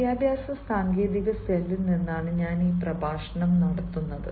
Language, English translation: Malayalam, i am delivering this lecture from educational technology cell